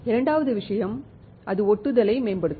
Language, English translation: Tamil, Second thing is that it will improve the adhesion